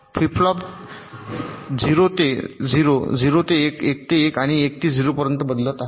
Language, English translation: Marathi, see, the flip flops are changing from zero to zero, zero to one, one to one and also one to zero